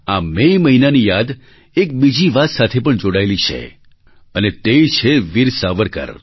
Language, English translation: Gujarati, Memories of this month are also linked with Veer Savarkar